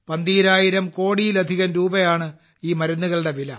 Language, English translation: Malayalam, The cost of these drugs was more than Rs 12,000 crore